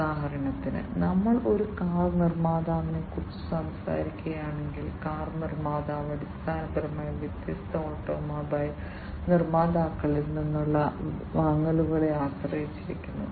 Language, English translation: Malayalam, For example, you know if we are talking about a car manufacturer, so the car manufacturer basically heavily depends on the purchases from different automobile manufacturers